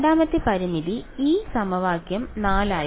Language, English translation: Malayalam, Right so, the second constraint was in this equation 4